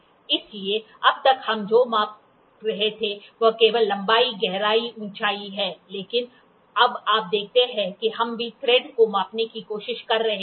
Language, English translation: Hindi, So, till now what we were measuring is only the length, depth, height, but now you see we are also trying to measure the thread